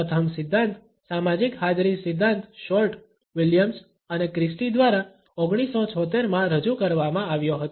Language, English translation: Gujarati, The first theory social presence theory was put forward by Short, Williams and Christy in 1976